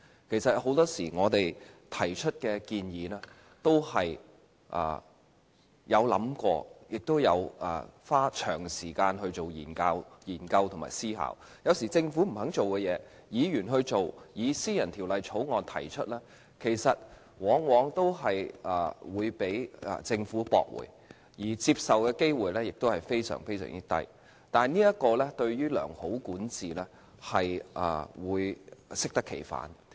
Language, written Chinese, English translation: Cantonese, 其實，很多時我們提出的建議，都花了長時間進行研究和思考，有時政府不肯做的事，議員去做，以私人條例草案方式提出，但往往被政府駁回，獲接納的機會非常低，這樣對於良好管治會適得其反。, In fact we would usually spend a large amount of time studying and examining our proposals before introducing them . Sometimes when the Government refused to address certain issues Members would address them by introducing private bills . Yet those bills are often rejected by the Government and the chances of them being accepted are extremely low which is counterproductive to good governance